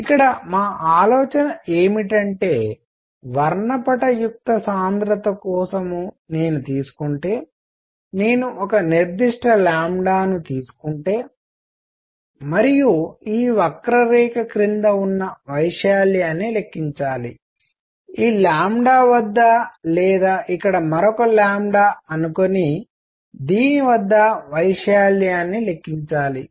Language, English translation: Telugu, What we mean here is if I take for spectral density; if I take a particular lambda and calculate the area under this curve; at this lambda or calculate area at say another lambda out here; this would give me the energy content in this d lambda